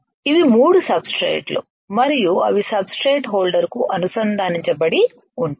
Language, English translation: Telugu, These are substrate 1 2 and 3 these are 3 substrates and they are connected to the substrate holder